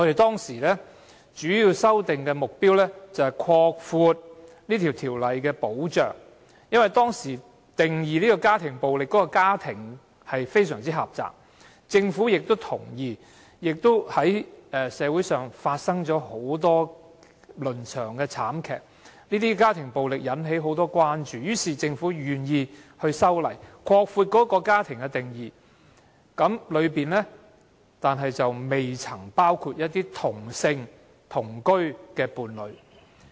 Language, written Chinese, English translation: Cantonese, 當時修訂條例的主要目的，是擴闊條例的保障，因為當時家庭暴力中"家庭"的定義非常狹窄，而社會上發生了很多倫常慘劇，令家庭暴力引起廣泛關注，因此，政府願意修例，擴闊"家庭"的定義，但當中並未包括"同性同居伴侶"。, The main objective of the amendment was to expand the scope of protection of DVO as the definition of family in family violence was very narrow and occurrences of family tragedies in society had aroused extensive concern about domestic violence . Hence the Government agreed to introduce a legislative amendment to expand the definition of family although same - sex cohabitation partner was not included therein